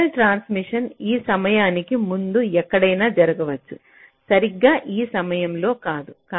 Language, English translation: Telugu, it means that the signal transmission can take place anywhere before this time not exactly at this time, right